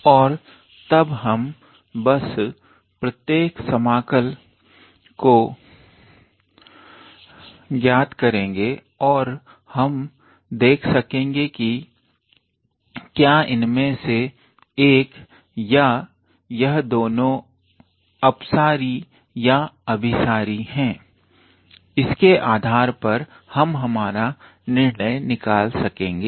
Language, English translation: Hindi, And then we just evaluate each one of these individual integrals and then we can be able to see whether one of them or both of them are divergent or convergent, based on that we can draw our conclusion